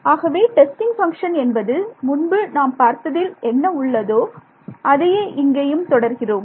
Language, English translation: Tamil, So, testing function whatever I did previously is what continues to be the case